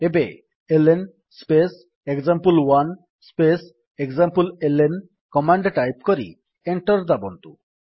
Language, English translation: Odia, Now type the command: $ ln space example1 space exampleln press Enter